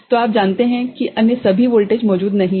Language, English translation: Hindi, So, you consider all other voltages are not present